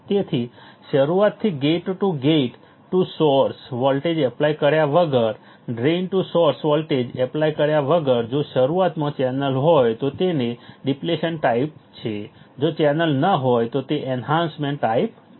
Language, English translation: Gujarati, So, from the beginning without applying gate to gate to source voltage, without applying drain to source voltage if there is a channel in the beginning its a depletion type, if there is no channel it is your enhancement type